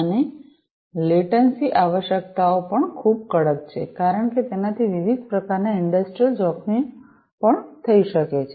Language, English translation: Gujarati, And, also the latency requirements are very stringent because that can also lead to different types of industrial hazards